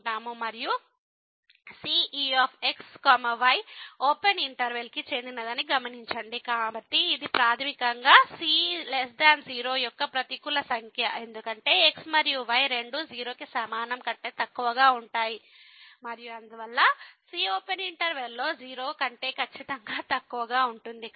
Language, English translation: Telugu, And, note that the belongs to this open interval, so, it is basically a negative number the is less than because and both are less than equal to and therefore, the will be strictly less than in the open interval